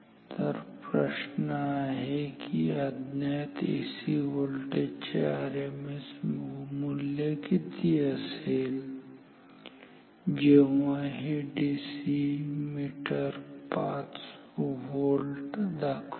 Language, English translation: Marathi, So, the question is what is the RMS value of the unknown AC voltage if the meter is showing 5 volt this is a DC meter